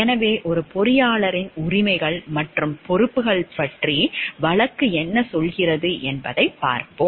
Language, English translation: Tamil, So, let us look into what the case tells us about the rights and responsibilities of a engineer